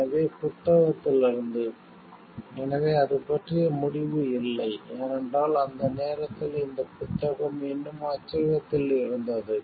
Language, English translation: Tamil, So, from the book; so, it does not have the conclusion about it, because by that time this book was still in press